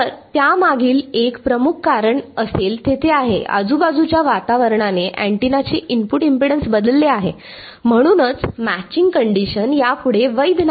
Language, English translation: Marathi, So, one major reason for that would be there is the since the environment around has changed the input impedance of the antenna has changed therefore, the matching condition is no longer valid